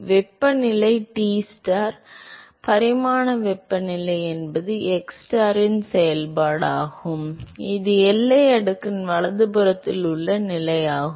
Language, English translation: Tamil, If you remember we said that the temperature Tstar, the dimensional temperature is a function of xstar which is the position inside the boundary layer right